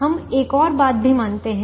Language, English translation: Hindi, we also observe one more thing